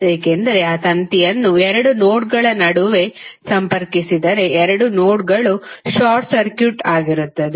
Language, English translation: Kannada, Because if you connect that wire through between 2 nodes then the 2 nodes will be short circuited